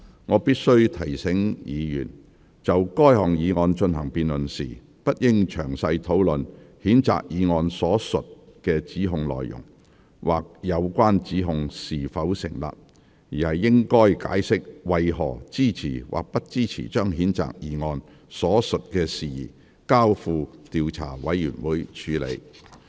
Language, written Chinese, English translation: Cantonese, 我必須提醒議員，就該議案進行辯論時，不應詳細討論譴責議案所述的指控內容，或有關指控是否成立，而應解釋為何支持或不支持將譴責議案所述的事宜，交付調查委員會處理。, I must remind Members that in the debate on that particular motion Members should not discuss the details of the allegations stated in the censure motion or whether the allegations concerned are substantiated . Instead Members should explain the reason for their support or otherwise for referring the matters stated in the censure motion to an investigation committee